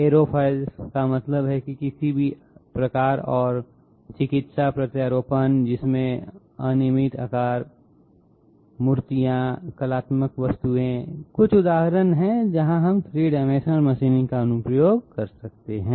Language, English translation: Hindi, Aerofoils that means of any type and medical implants which have irregular shapes, statues, artistic objects, these are just some of the examples where we might be having application of 3 dimensional machining